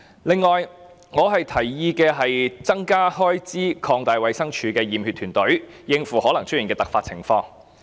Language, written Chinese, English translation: Cantonese, 此外，我建議增加開支以擴大衞生署的驗血團隊，應付可能出現的突發情況。, Besides I suggest that more funding should be provided for expansion of the DH team for conducting blood tests so as to cope with unexpected circumstances which may arise